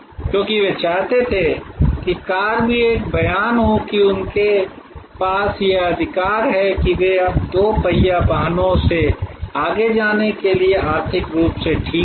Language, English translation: Hindi, Because, they wanted that car to be also a statement that they have a right that they are now economically well off to go beyond the two wheelers